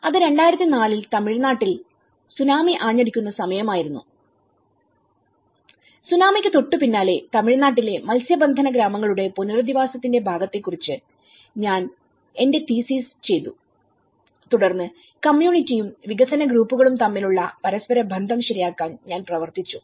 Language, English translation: Malayalam, So, that was the time of 2004 and Tsunami have hit the Tamilnadu and immediately after the Tsunami, I did my thesis on the rehabilitation part of fishing villages in Tamil Nadu and then I worked on the reconciling the interaction gap between the community and the development groups